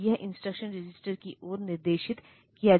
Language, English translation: Hindi, So, it is directed towards the instruction register